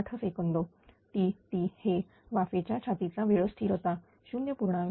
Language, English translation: Marathi, 08 second T g is a steam chase time constants 0